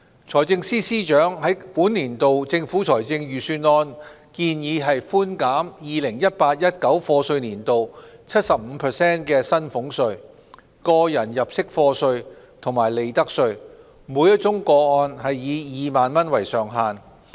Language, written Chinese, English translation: Cantonese, 財政司司長在本年度政府財政預算案建議寬減 2018-2019 課稅年度 75% 的薪俸稅、個人入息課稅及利得稅，每宗個案以2萬元為上限。, The Financial Secretary proposed in this years Budget a 75 % reduction of salaries tax tax under personal assessment and profits tax subject to a cap of 20,000 per case for the year of assessment 2018 - 2019